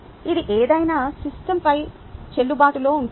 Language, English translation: Telugu, ok, this has to be valid over any system